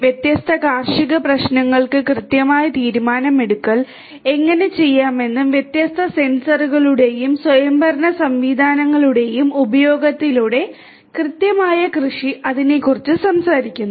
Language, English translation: Malayalam, Precision agriculture talks about that through the use of different sensors and autonomous systems how the precise decision making can be done for different agricultural problems